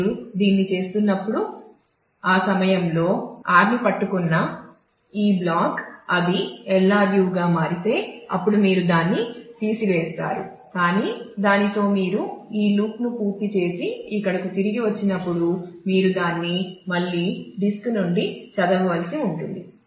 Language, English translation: Telugu, So, while you are doing this if you if this block, which was which was holding r at that time if that turns out to be a LRU; then you will throw it away, but with that when you complete this loop and come back here, you will again have to read it from the disk